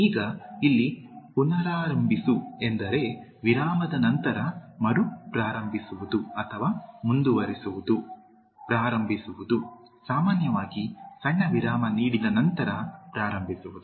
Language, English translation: Kannada, Now, resume here means to restart or continue after a break, to begin, to commence after usually giving a short break